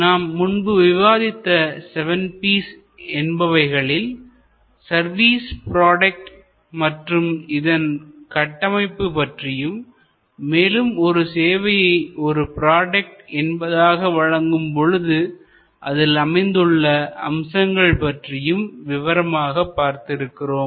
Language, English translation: Tamil, Now, of the seven P’s that we had discussed before, elements like the service product, the service product architecture, the constituting elements of service as a product we have discussed in detail